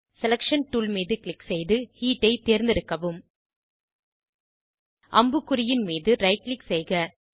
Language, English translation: Tamil, Click on Selection tool and select Heat Right click on the arrow